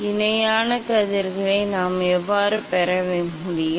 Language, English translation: Tamil, And how we can get the parallel rays